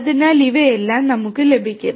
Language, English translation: Malayalam, So, we will have all of these